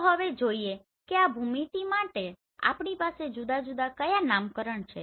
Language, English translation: Gujarati, So now let us see what are the different nomenclature we have for this geometry